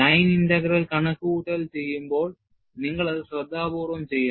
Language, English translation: Malayalam, You know, the line integral calculation, you have to do it carefully